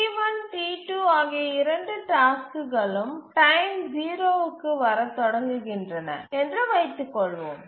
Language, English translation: Tamil, Let's assume that both the tasks, T1, T2, the task instances start arriving at time zero